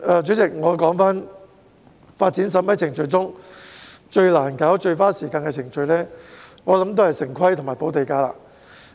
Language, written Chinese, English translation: Cantonese, 主席，我相信發展審批程序中最難處理及最花時間的程序，是城市規劃和補地價。, President I believe the most difficult and time - consuming procedures of the development approval process are town planning and land premium payment